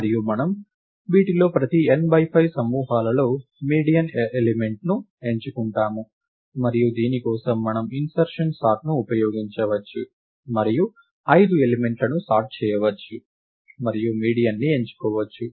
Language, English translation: Telugu, And we pick the median element in each of these n by 5 groups, and for this we can use insertion sort and sort the 5 elements and pick the median